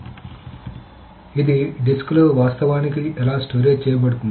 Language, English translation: Telugu, So how is it actually stored in the disk